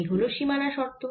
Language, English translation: Bengali, that is the boundary condition